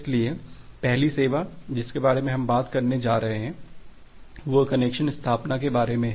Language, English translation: Hindi, So, the first service that we are going to talk about is about the connection establishment